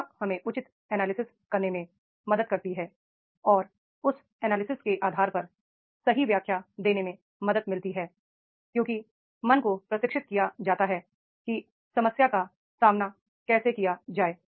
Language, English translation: Hindi, Education helps us to make the proper analysis and giving the the right explanation on the basis of that analysis is there because his mind is strange that is the how to approach to the problem